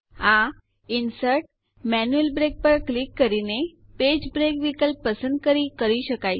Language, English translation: Gujarati, This is done by clicking Insert Manual Break and choosing the Page break option